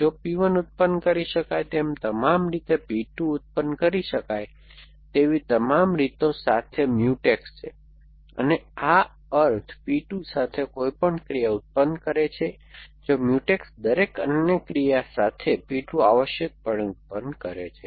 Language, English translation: Gujarati, If all ways that P 1 can be produce and all way is Mutex with all ways that P 2 can be produce, and by this mean any action with produces P 2, if Mutex with every other action with produces P 2 essentially